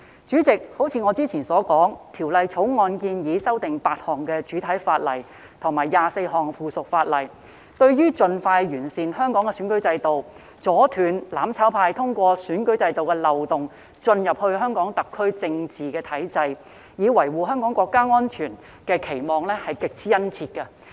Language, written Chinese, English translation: Cantonese, 主席，正如我之前所說，《條例草案》建議修訂8項主體法例及24項附屬法例，對於盡快完善香港選舉制度、阻斷"攬炒派"通過選舉制度漏洞進入香港特區政治體制，以維護香港國家安全的期望是極之殷切的。, President as I have said earlier the Bill proposes amending eight principal Ordinances and 24 items of subsidiary legislation . There is a great expectation that Hong Kongs electoral system can be improved expeditiously to stop the mutual destruction camp from entering the political structure of HKSAR through loopholes in the electoral system so as to safeguard national security